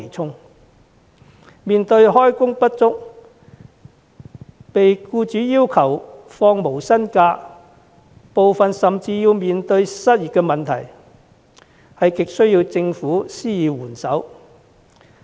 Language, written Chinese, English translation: Cantonese, 他們不但開工不足、被僱主要求放取無薪假，部分甚至面對失業問題，亟需政府施以援手。, They are either underemployed forced by employers to take unpaid leave or even unemployed . Hence they are in desperate need of government assistance